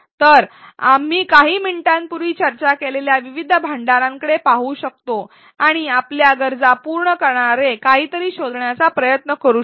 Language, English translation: Marathi, So, we can look at various repositories that we discussed a few minutes ago and try to find something that closely fits our needs